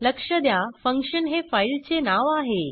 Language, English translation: Marathi, Note that our filename is function